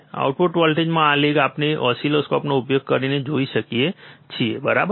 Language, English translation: Gujarati, This lag in the output voltage, we can see using the oscilloscope, alright